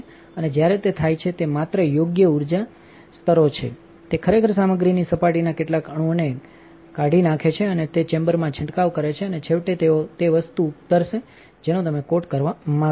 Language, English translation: Gujarati, And when that happens it is just the right energy levels, it actually chips off a few molecules of the surface of this material and they go spraying off into the chamber and eventually they will land on the thing that you want to coat